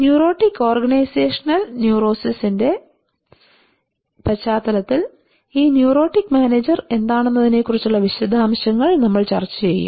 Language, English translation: Malayalam, We will discuss in details about what is this neurotic manager in the context of neurotic organizational neurosis